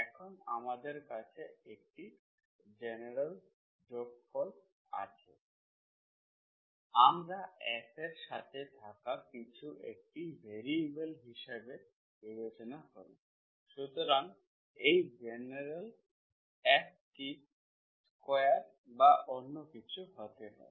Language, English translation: Bengali, Now we have general sum, f of something, the whole thing as variable, so this is general F, it can be square of this, it can be anything